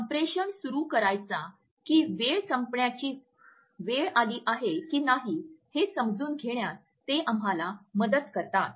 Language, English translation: Marathi, They also help us to understand whether a communication is to be started or when it is the time to end our communication